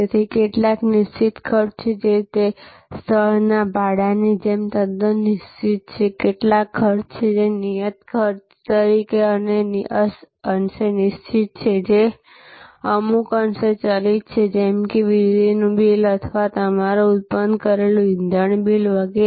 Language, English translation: Gujarati, So, there are therefore, some fixed cost which are quite fixed like the rental of the place, some costs are, fixed costs are somewhat fixed somewhat variable like the electricity bill or your generated fuel bill and so on